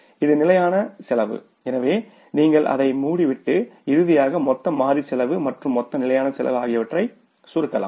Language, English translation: Tamil, So, you can close it and finally summing up the total variable cost and total fixed cost